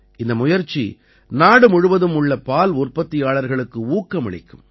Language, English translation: Tamil, This effort of his is going to inspire dairy farmers across the country